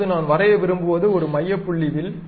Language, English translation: Tamil, Now, I would like to draw an arc center point arc I would like to draw